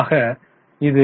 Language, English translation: Tamil, So, you get 0